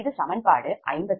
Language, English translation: Tamil, this is equation fifty seven